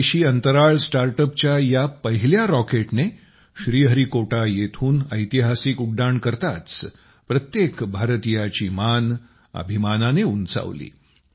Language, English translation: Marathi, As soon as this first rocket of the indigenous Space Startup made a historic flight from Sriharikota, the heart of every Indian swelled with pride